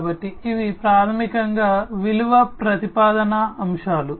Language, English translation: Telugu, So, these are basically the value proposition aspects